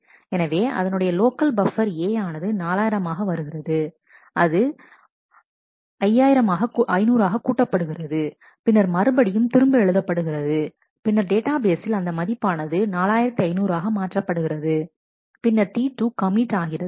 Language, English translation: Tamil, So, in its local buffer A becomes 4000 it increments by 500 and then writes it back and when that happens, then in the database also the value has changed to 4500 and then T 2 commits and at this point let us assume that there was if there was a failure